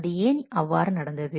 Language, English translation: Tamil, Why did it happen